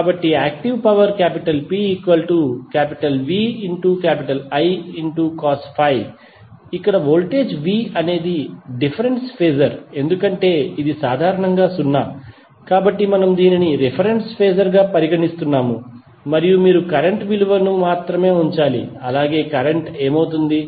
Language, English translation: Telugu, So, active power is nothing but VI cos phi, here voltage V is a difference phasor because it is generally 0 so we are considering it as a reference phasor and then you have to simply put the value of current, current would be what